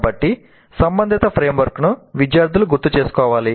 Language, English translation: Telugu, So the relevant framework must be recalled by the students